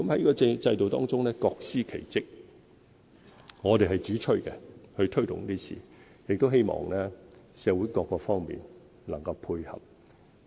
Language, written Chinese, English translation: Cantonese, 在這個制度中，各司其職，我們是主催推動建屋，亦希望社會各方面能夠配合。, Under this system each party performs different functions . We advocate housing production and hope that all sectors of society will cooperate